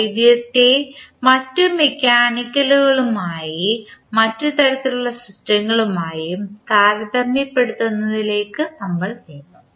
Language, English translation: Malayalam, Then finally we will move on to comparison of electrical with the other mechanical as well as other types of systems